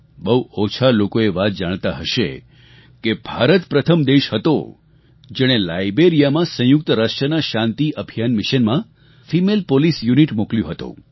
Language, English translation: Gujarati, Very few people may know that India was the first country which sent a female police unit to Liberia for the United Nations Peace Mission